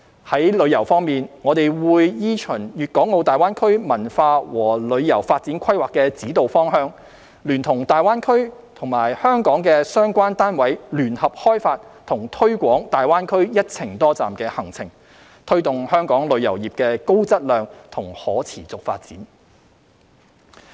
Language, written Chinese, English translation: Cantonese, 在旅遊方面，我們會依循《粵港澳大灣區文化和旅遊發展規劃》的指導方向，聯同大灣區及香港的相關單位聯合開發和推廣大灣區"一程多站"行程，推動香港旅遊業的高質量及可持續發展。, In respect of tourism we will follow the directions set out in the Culture and Tourism Development Plan for GBA and join hands with the relevant units in GBA and Hong Kong to develop and promote multi - destination travel itineraries to GBA so as to take forward high - quality and sustainable development of Hong Kongs tourism industry